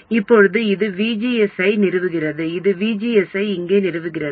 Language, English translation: Tamil, Now this establishes VGS here